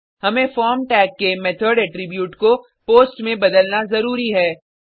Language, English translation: Hindi, Here, we must change the method attribute of the form tag to POST